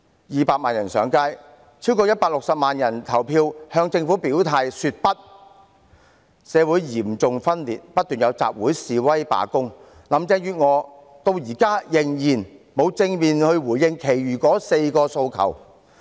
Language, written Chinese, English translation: Cantonese, 二百萬人上街，超過160萬人投票向政府表態說不，社會嚴重分裂，不斷有集會、示威、罷工。林鄭月娥至今仍然沒有正面回應其餘4個訴求。, Two million people took to the streets; more than 1.6 million people voted to say No to the Government; society is gravely divided; assemblies demonstrations and strikes are incessant but Carrie LAM has yet to give a positive response to the other four demands